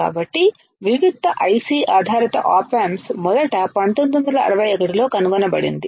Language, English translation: Telugu, So, discreet IC based op amps was first invented in 1961 ok